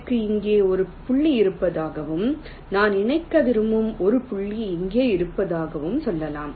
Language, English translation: Tamil, lets say i have a point here and i have a point here which i want to connect